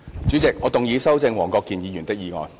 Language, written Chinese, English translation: Cantonese, 主席，我動議修正黃國健議員的議案。, President I move that Mr WONG Kwok - kins motion be amended